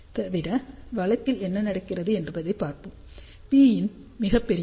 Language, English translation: Tamil, Let us see what happens in the extreme case when P in is very large